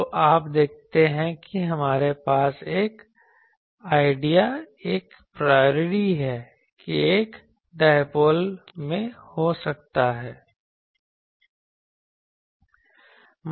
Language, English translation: Hindi, So, you see that we have an idea a priori that I can have a in a dipole